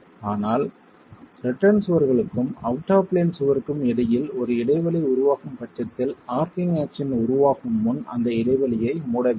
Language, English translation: Tamil, But in case there is a gap developing between the return walls and the out of plain wall, that gap has to be closed before the arching action can develop